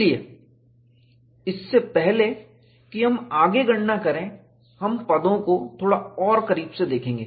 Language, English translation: Hindi, So, before we do the calculation further, let us look at the terms a little more closely